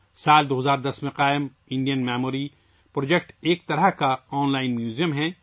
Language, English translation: Urdu, Established in the year 2010, Indian Memory Project is a kind of online museum